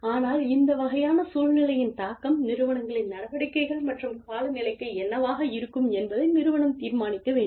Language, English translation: Tamil, But, the organization has to decide, what the impact of this kind of situation, will be on the organization's activities and the climate